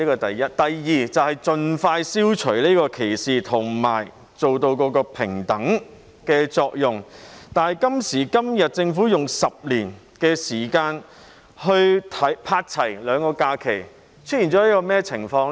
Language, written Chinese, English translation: Cantonese, 第二，是要盡快消除歧視及達致平等，但政府今時今日提出用10年時間去"拍齊"兩種假期，出現甚麼情況呢？, Secondly while we seek to expeditiously eliminate discrimination and achieve equality the Government has now proposed to align the two kinds of holidays in 10 years . What does it mean?